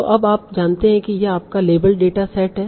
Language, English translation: Hindi, So now you know this is your label data set